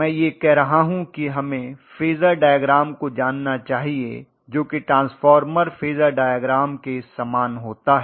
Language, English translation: Hindi, I am rather saying that we should know the Phasor diagram which is very very similar to transformer Phasor diagram